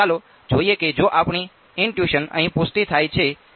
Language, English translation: Gujarati, So let us see what if our intuition is confirmed over here